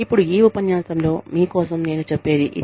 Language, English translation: Telugu, Now, that is all, i have for you, in this lecture